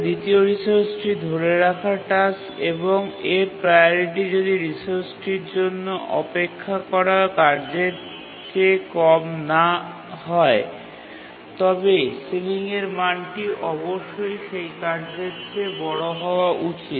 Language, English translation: Bengali, But then the task holding the second resource, it priority does not drop below the task waiting for the resource, because the resource ceiling value must be greater than the task that is requesting the resource